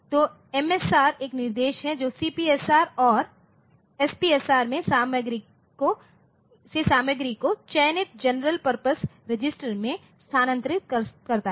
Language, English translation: Hindi, So, this there is an instruction like MSR that moves content from the CPSR or SPSR are registered to selected general purpose register